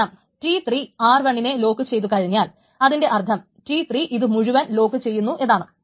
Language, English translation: Malayalam, T3 wants to lock R1 that is also not allowed because if T3 locks R1 then it means that T3 will be locking this entire thing